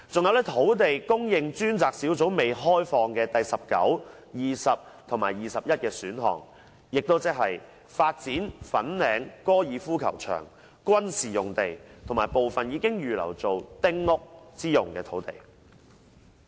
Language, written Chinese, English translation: Cantonese, 還有土地供應專責小組未開放的第十九、二十和二十一的選項，即發展粉嶺高爾夫球場、軍事用地和部分已預留建丁屋之用的土地。, There are also the 19 20 and 21 options that the Task Force on Land Supply has not raised . They are the development of the Fanling Golf Club military sites and some of the land reserved for small houses construction